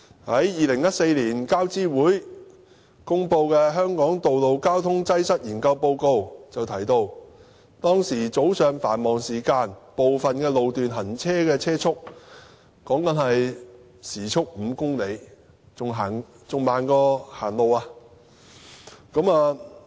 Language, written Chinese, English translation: Cantonese, 在2014年，交通諮詢委員會公布的"香港道路交通擠塞研究報告"就提到，早上繁忙時間部分路段的行車速度是每小時5公里，比走路還慢。, According to the Report on Study of Road Traffic Congestion in Hong Kong published by the Transport Advisory Committee in 2014 vehicles travel at a speed of 5 kmh on certain road sections during morning rush hours even slower than travelling on foot